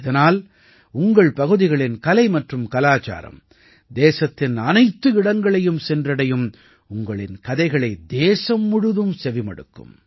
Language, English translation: Tamil, Through this the art and culture of your area will also reach every nook and corner of the country, your stories will be heard by the whole country